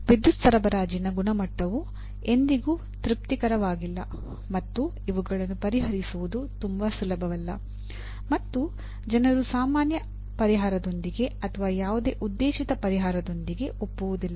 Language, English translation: Kannada, The quality of the power supply is never satisfactory and to solve that things are not very easy and people do not agree with a common solution/with any proposed solution